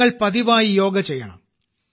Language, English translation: Malayalam, You should do Yoga regularly